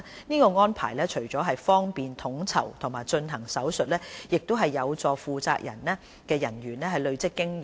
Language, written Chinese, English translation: Cantonese, 這安排除了方便統籌和進行手術外，亦有助負責人員累積經驗。, On top of facilitating coordination and the conduct of operation this arrangement also helps the responsible officers accumulate experience